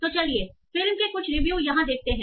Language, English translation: Hindi, So let's see some of the movie reviews here